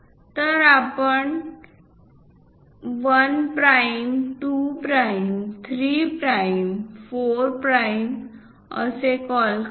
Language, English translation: Marathi, So, let us call 1 prime, 2 prime, 3 prime, 4 prime